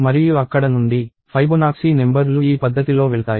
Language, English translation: Telugu, And from there on, the Fibonacci numbers will go in this fashion